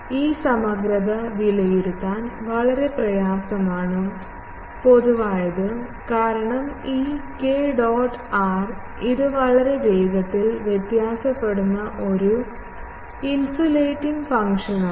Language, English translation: Malayalam, This integral is very difficult to evaluate in general, because this k dot r it is a very rapidly varying an oscillating function